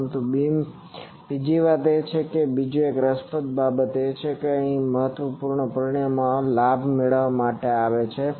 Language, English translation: Gujarati, But another thing is that another interesting thing is another important parameter is finding gain